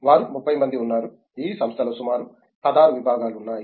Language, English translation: Telugu, There are about 30 of them, spread across about 16 department in the institute